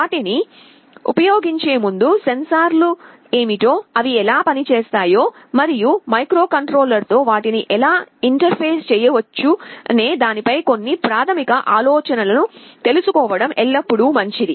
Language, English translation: Telugu, Before using them, it is always good to know what the sensors are, how they work and some basic idea as to how they can be interfaced with the microcontroller